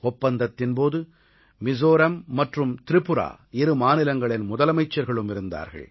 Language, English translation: Tamil, The Chief Ministers of both Mizoram and Tripura were present during the signing of the agreement